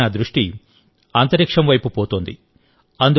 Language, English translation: Telugu, Now my attention is going towards space